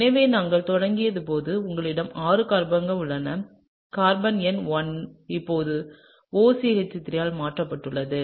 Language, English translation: Tamil, So, you have six carbons as we started out with and carbon number 1 now is substituted by OCH3, okay